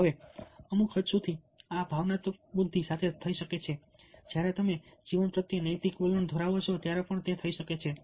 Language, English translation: Gujarati, now, to certain extent, these can happen with emotional intelligence, and it can also happen when you have a moral or ethical attitude towards life